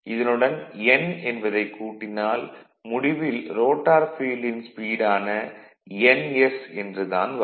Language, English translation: Tamil, So, what it will be actually same as your speed of the rotor field that is your ns